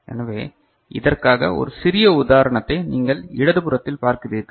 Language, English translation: Tamil, So, for which we look at one small example, what you see in the left hand side